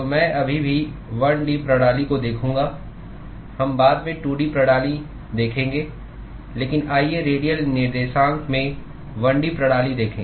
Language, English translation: Hindi, So, I would still look at the 1 D system, we will look a 2 D systems later, but let us look a 1 D system in the radial coordinates